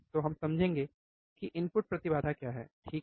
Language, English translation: Hindi, So, we will we understand what is input impedance, right